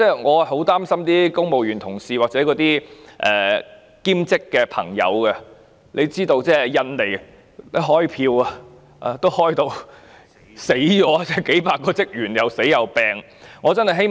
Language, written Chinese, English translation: Cantonese, 我很擔心公務員同事或兼職員工，因為印尼選舉點票也弄致數百名職員生病或死亡。, I am worried about colleagues in the civil service or part - time employees as hundreds of ballot counters have fallen sick or died in the election in Indonesia